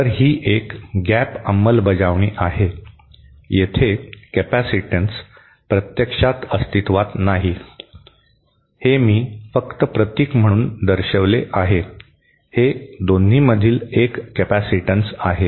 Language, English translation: Marathi, So, this is a gap implementation, this capacitance does not actually exist, this is just I have shown as a symbol, this is a capacitance between the 2